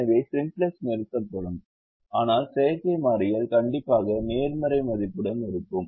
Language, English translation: Tamil, so simplex will terminate, but the artificial variable will be present with the strictly positive value